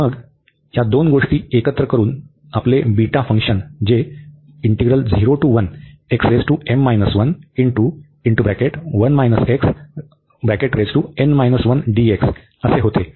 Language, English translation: Marathi, So, coming to these functions we have beta and gamma functions